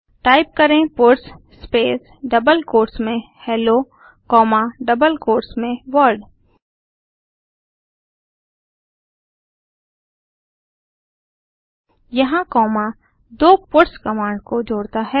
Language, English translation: Hindi, Type puts space within double quotes Hello comma within double quotes World Here comma is used to join the two puts command together